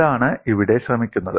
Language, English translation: Malayalam, That is what is attempted here